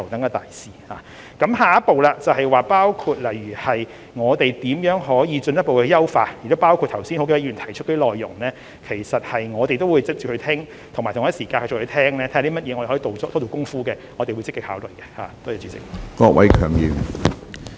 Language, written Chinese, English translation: Cantonese, 我們的下一步工作是如何可以進一步優化，而剛才多位議員提出的內容，我們也會討論，亦會聆聽有哪些方面可以多做工夫，我們都會積極考慮。, Our next step is to make further enhancement . We will discuss the content of Members earlier speeches and actively consider views on whether any further work can be done in specific areas